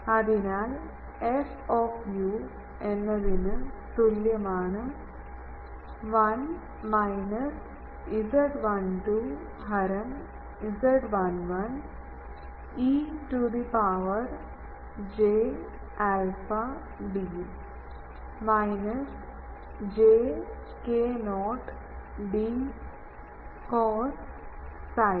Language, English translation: Malayalam, So, 1 plus this I 1s radiation; that means, 1 minus z 12 by z 11 e to the power j alpha d minus j k not d cos psi